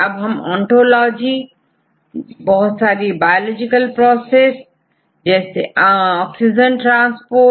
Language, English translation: Hindi, So, now they give the ontologies what are the various biological process we see oxygen transports